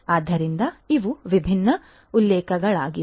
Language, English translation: Kannada, So, these are these different references